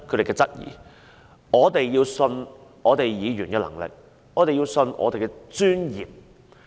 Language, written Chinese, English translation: Cantonese, 因此，我們必須相信議員的能力，相信我們的專業。, Hence we must trust the capabilities and professionalism of Members